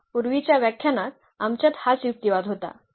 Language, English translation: Marathi, Again the same argument which we had in the previous lectures